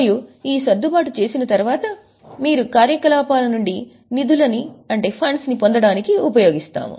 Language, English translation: Telugu, And after making this adjustment you used to get fund from operations